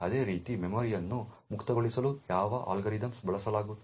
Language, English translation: Kannada, Similarly what are the algorithms used for freeing the memory